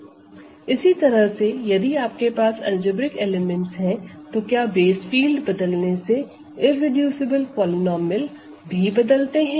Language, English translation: Hindi, Similarly if you have algebraic elements what is irreducible polynomial also changes if you change the base field